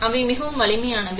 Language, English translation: Tamil, So, they are very robust